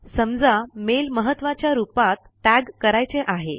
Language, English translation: Marathi, Lets say you want to tag a mail as Important